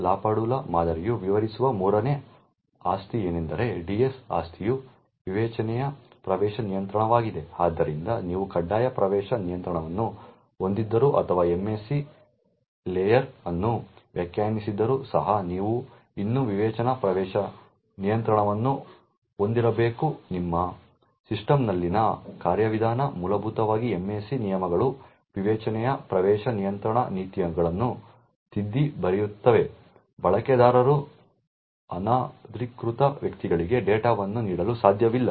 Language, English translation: Kannada, The third property which the Bell LaPadula model defines is the DS property which stands for Discretionary Access control, so what it say is that even though you have a mandatory access control or a MAC layer defined, nevertheless you should still have a discretionary access control mechanism in your system, essentially the MAC rules overwrite the discretionary access control policies, a user cannot give away data to unauthorised persons